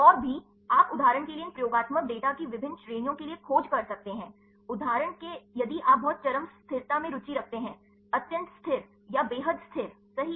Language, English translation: Hindi, And also you can search for the different ranges of these experimental data for example, if you are interested in the very extreme stability for example, extremely stabilize, or extremely destabilize right